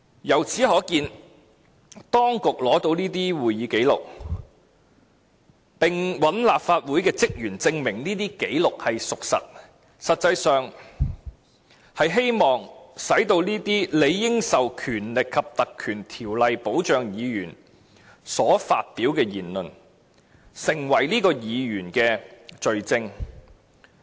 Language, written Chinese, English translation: Cantonese, 由此可見，當局取得了會議紀錄，並找來立法會職員證明紀錄屬實，實際上，便是希望令這些理應受《立法會條例》保障的議員所發表的言論，成為該名議員的罪證。, That is to say the authorities request for records of proceedingsminutes of meetings of the Legislative Council and ask the staff of the Legislative Council to give evidence for verifying the veracity of such documents in hopes of adducing the matters said as evidence of the fact that such statements were made by the Member in question who is supposed to be protected by the Ordinance